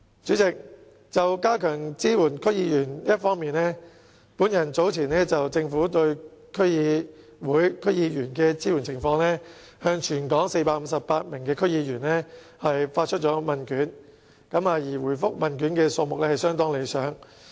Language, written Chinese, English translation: Cantonese, 主席，在加強支援區議員方面，本人早前就政府對區議會、區議員的支援情況向全港458名區議員發出問卷調查，回覆問卷的數目相當理想。, President on strengthening the support for DC members earlier on I issued survey questionnaires concerning the Governments support for DCs and DC members to 458 DC members throughout Hong Kong and the number of replies was rather satisfactory